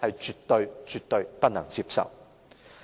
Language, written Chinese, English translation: Cantonese, 這絕對不能接受。, This is absolutely unacceptable